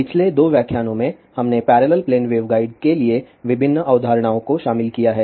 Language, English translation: Hindi, In the last 2 lectures, we have covered various concepts for parallel plane waveguide